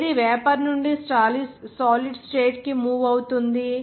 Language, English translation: Telugu, What is moving from vapor to a solid state